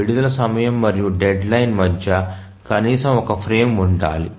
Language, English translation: Telugu, So, this is the release time and the deadline, there must exist at least one frame